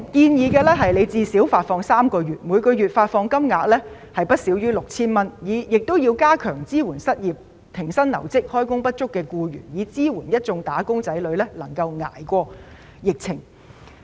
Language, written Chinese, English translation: Cantonese, 我們建議最少發放3個月，每月發放金額不少於 6,000 元，政府亦要加強支援失業、停薪留職或開工不足的僱員，支援一眾"打工仔女"捱過疫情。, We suggest that such payment should at least be made for three months with a monthly payment of not less than 6,000 . The Government should also strengthen the support for employees who are unemployed suspended from duty without pay or underemployed so that wage earners can survive the epidemic